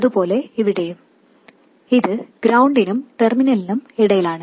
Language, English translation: Malayalam, Similarly here, it is between ground and the terminal